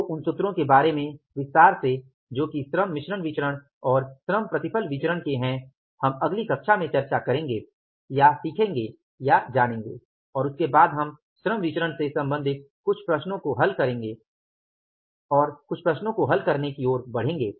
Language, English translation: Hindi, So, those formulas in detail that is the labor mix variance and the labor yield variance we will discuss in the or we will know we will learn in the next class and after that we will move to solving some of the problems with regard to the labor variances